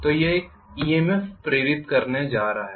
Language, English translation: Hindi, So this is going to induce an EMF